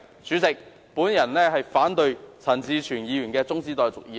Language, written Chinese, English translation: Cantonese, 主席，我反對陳志全議員提出的中止待續議案。, President I oppose the adjournment motion moved by Mr CHAN Chi - chuen